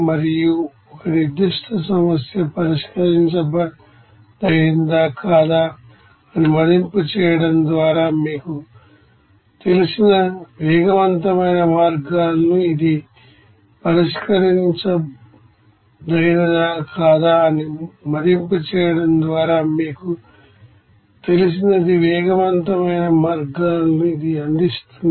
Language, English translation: Telugu, And it provides rapid means of you know assessing if a specific problem is solvable or not